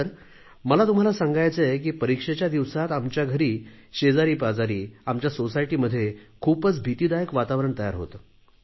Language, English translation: Marathi, "Sir, I want to tell you that during exam time, very often in our homes, in the neighbourhood and in our society, a very terrifying and scary atmosphere pervades